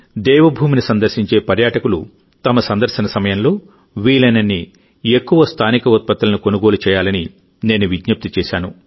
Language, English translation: Telugu, I had appealed to the tourists coming to Devbhoomi to buy as many local products as possible during their visit